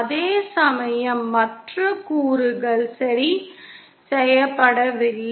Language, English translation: Tamil, Whereas the other components are not fixed